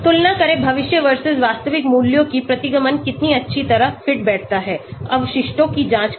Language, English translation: Hindi, Compare the predicted versus actual values, how well the regression fits, check the residuals